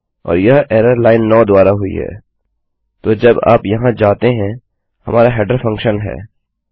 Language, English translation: Hindi, And this error has been generated by line 9, which if you go here, is our header function